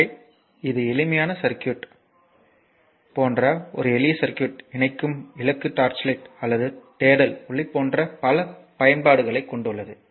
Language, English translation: Tamil, So, this is the simple circuit so, a lamp connecting such a simple circuit has several applications such as your torch light or search light etc